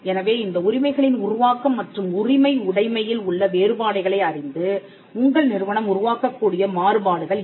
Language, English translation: Tamil, So, these are variations that your institute can create knowing the differences involved in these in the creation and ownership of these rights